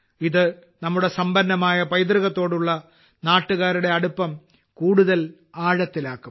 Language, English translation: Malayalam, This will further deepen the attachment of the countrymen with our rich heritage